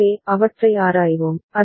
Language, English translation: Tamil, So, we shall examine them